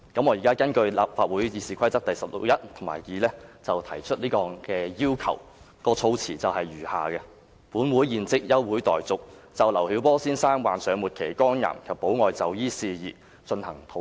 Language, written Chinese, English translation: Cantonese, 我現在根據立法會《議事規則》第161及2條提出這項要求，議案措辭如下："本會現即休會待續，就劉曉波先生患上末期肝癌及保外就醫事宜進行討論。, Now I make such a request in accordance with RoP 161 and RoP 162 and the wording of the motion is as follows That the Council do now adjourn for the purpose of discussing matters relating to Mr LIU Xiaobos terminal liver cancer and medical parole